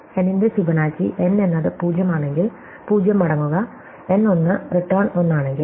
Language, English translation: Malayalam, Fibonacci of n is just if n is 0, return 0, if n is 1 return 1